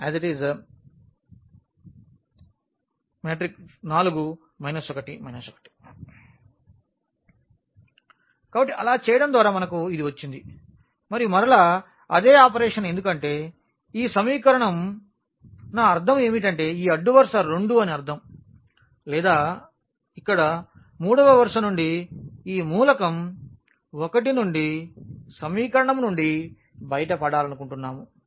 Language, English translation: Telugu, So, by doing so we got this and then the further again the same operation because this equation I mean this row 2 or we want to get rid from equation from row 3 this element 1 here